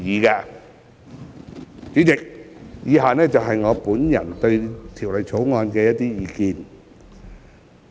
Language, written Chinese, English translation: Cantonese, 代理主席，以下是我對《條例草案》的意見。, Deputy President in the following part of my speech I shall express my views on the Bill